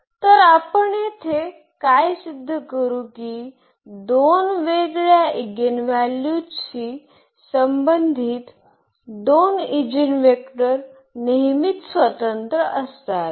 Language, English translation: Marathi, So, what we will prove here that two eigenvectors corresponding to two distinct eigenvalues are always linearly independent